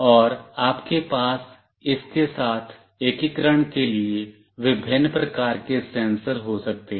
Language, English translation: Hindi, And you can have variety of sensors for integrating along with it